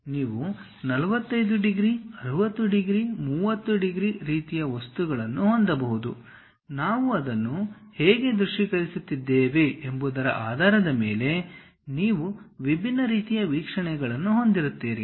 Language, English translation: Kannada, You can have 45 degrees, 45 degrees, 60 degrees, 30 degrees kind of thing; based on how we are visualizing that, you will have different kind of views